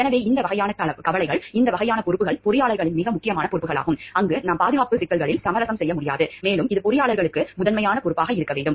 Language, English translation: Tamil, So, these type of concerns, these types of responsibilities are very important responsibilities of engineers where we cannot compromise with the safety issues and it has to be a primary responsibility for the engineers